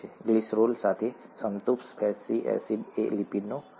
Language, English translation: Gujarati, Saturated fatty acid with glycerol is an example of a lipid